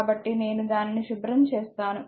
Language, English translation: Telugu, So, let me clean it right